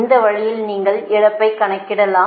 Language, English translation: Tamil, this way you can calculate the loss